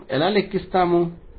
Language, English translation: Telugu, How do we calculate